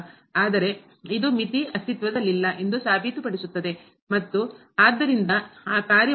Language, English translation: Kannada, But this proves that the limit does not exist and hence that function is not continuous at